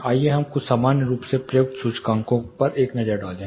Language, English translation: Hindi, Let us take a look at few commonly used indices